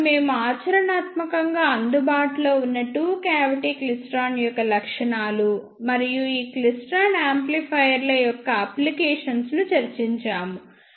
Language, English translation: Telugu, Then we discussed specifications of practically available two cavity klystron and applications of these klystron amplifiers